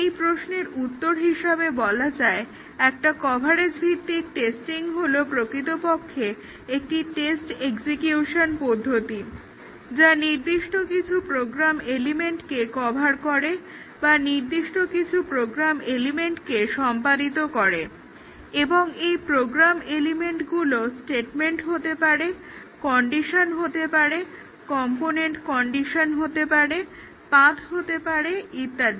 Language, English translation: Bengali, To answer this question, a coverage based testing essentially is test execution covers certain program elements or executes certain program elements and the program elements that we consider can be statements, can be conditions, can be component conditions, can be paths and so on